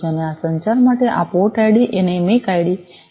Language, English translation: Gujarati, And this port id and the MAC id are required for this communication